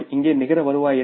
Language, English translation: Tamil, What is the net revenue here